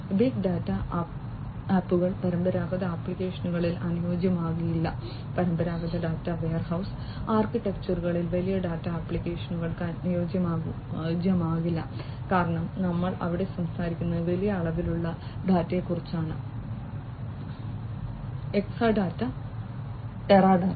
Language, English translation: Malayalam, Big data apps cannot be fit in traditional applications, cannot be fit big data applications cannot be fit in traditional data warehouse architectures because here we are talking about large volumes of data, Exadata, Teradata and so on